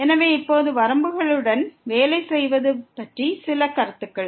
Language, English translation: Tamil, So, now few remarks on working with the limits